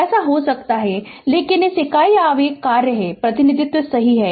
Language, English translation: Hindi, It can so, but this is your what you call, unit impulse function, the representation right